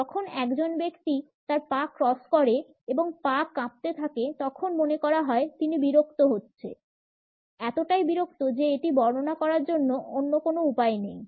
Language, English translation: Bengali, When a person has their legs crossed and foot shaking they are bored; bored there is no other way to describe it